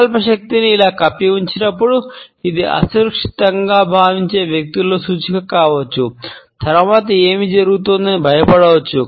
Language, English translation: Telugu, When the willpower is being covered up like this, it can be an indicator with the persons feeling insecure, there may be afraid of what is happening next